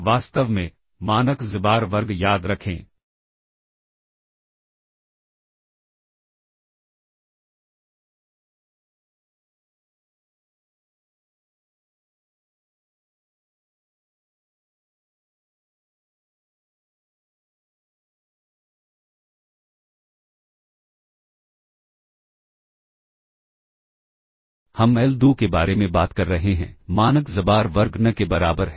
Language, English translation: Hindi, In fact, norm xbar square remember, we are talking about l2, norm xbar square equals n